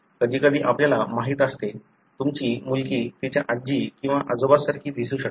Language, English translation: Marathi, Sometimes you know, your daughter may look more like your grandmother or grandfather